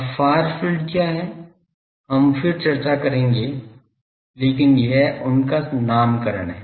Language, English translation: Hindi, Now, what is far field etcetera we will discuss again but this is their nomenclature